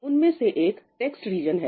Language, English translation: Hindi, one is the text region